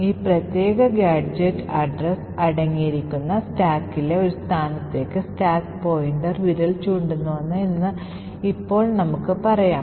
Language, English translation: Malayalam, Now let us say that the stack pointer is pointing to a location in the stack which contains this particular gadget address